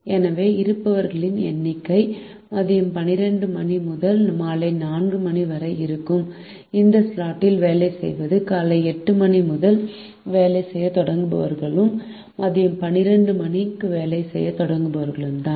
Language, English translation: Tamil, therefore, the number of people who are working in this slot, which is between twelve noon and four pm, are those who start working at eight am and those who start working at twelve noon